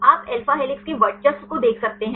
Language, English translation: Hindi, You can see dominated by alpha helices right